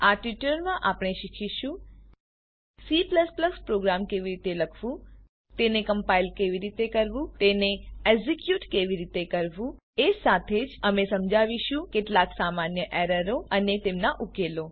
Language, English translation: Gujarati, In this tutorial I am going to explain, How to write a C++ program How to compile it How to execute it We will also explain some common errors and their solution